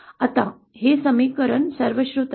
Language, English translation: Marathi, Now this expression is well known